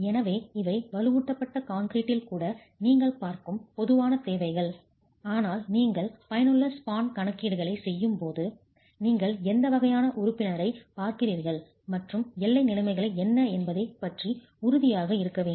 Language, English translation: Tamil, So these are typical requirements which you see even in reinforced concrete but when you are making an effective span calculations you have to be sure about what type of member you are looking at and what the boundary conditions are